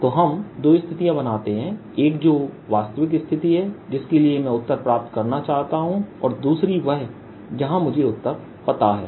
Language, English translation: Hindi, so we create two situations: one which is the real situation, the, the answer, one which for which i want to get the answer, and the other where i know the answer